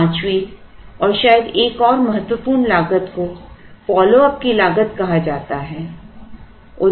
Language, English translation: Hindi, Fifth one and the perhaps another important one is called the cost of follow up